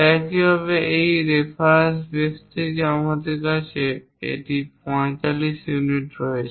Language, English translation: Bengali, Similarly, from this reference base we have it 45 units